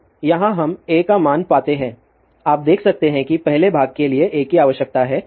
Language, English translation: Hindi, So, here we find the value of a you can see that A is required for the first part we will just check it